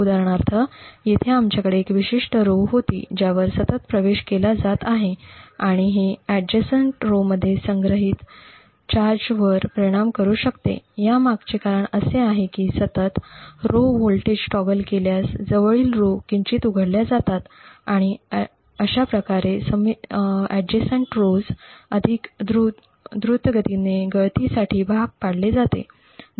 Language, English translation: Marathi, So for example over here we had one specific row which has been continuously accessed and it could influence the charge stored in the adjacent rows, the reason for this is that continuously toggling the row voltage slightly opens the adjacent rows, thus forcing the adjacent rows to leak much more quickly